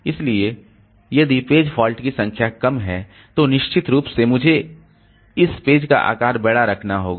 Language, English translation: Hindi, So, if the number of page faults is low, then definitely I will have to have this page size to be large